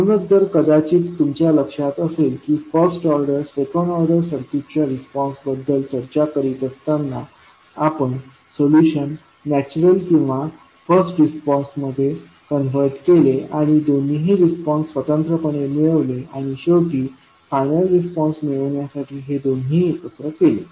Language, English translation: Marathi, So, if you remember when we are discussing about the step response of maybe first order, second order circuit we converted the solution into natural response and the first response and the found both of the response separately and finally we sum then up to get the final response